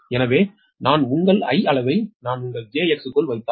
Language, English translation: Tamil, so if i put your i, magnitude i into that, your j x right